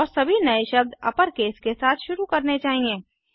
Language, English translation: Hindi, And all new words followed should begin with an upper case